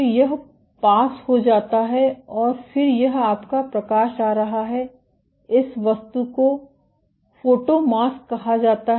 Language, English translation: Hindi, So, this gets passed and then this is your light coming, this object is called the photomask